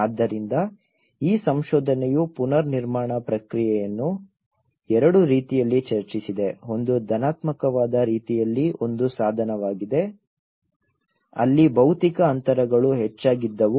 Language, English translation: Kannada, So this research have discussed the reconstruction process in two ways one is instrumentally in a positivist way, where the physical distances had increase